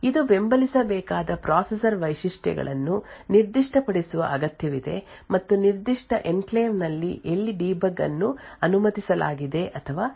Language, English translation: Kannada, It needs to specify the processor features that is to be supported and also where debug is allowed or not within that particular enclave